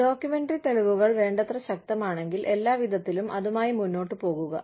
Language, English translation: Malayalam, But, if the documentary evidence is strong enough, by all means, go ahead with it